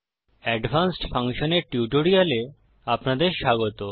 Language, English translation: Bengali, Welcome to the Spoken Tutorial on Advanced Function